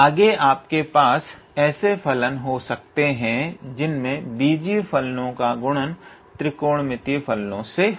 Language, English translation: Hindi, Next you can have functions of type algebraic multiplied by trigonometrical functions